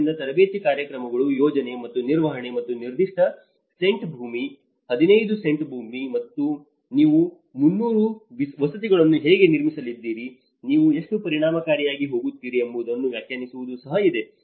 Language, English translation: Kannada, So there is also training programs, the planning and management and also defining within the given cent of land, 15 cents of land, how you are going to build 300 housing, how effectively you are going to go